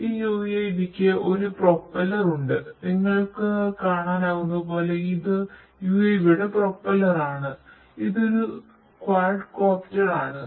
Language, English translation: Malayalam, This UAV has this is a propeller; this is a propeller of an UAV as you can see so, there are this is a quadcopter right; so this is a quadcopter